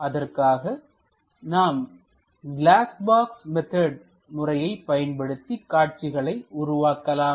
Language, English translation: Tamil, Now let us use glass box method to construct these views